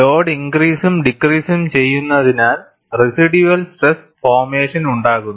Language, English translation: Malayalam, Because the load is increased and decreased, there is residual stress formation